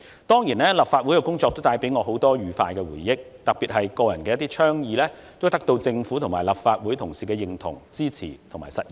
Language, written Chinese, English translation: Cantonese, 當然，立法會的工作也帶給我許多愉快的回憶，特別是我個人的一些倡議得到政府和立法會同事的認同、支持和實現。, This is lamentable indeed . Of course the work in the Legislative Council also gives me lots of happy memories especially when some of my initiatives earned the recognition and support of the Government and colleagues of the Legislative Council and were made real